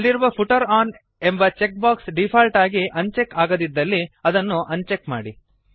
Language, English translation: Kannada, Uncheck the Footer on checkbox if it is not unchecked by default